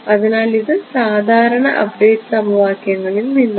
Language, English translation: Malayalam, So, this is from usual update equations ok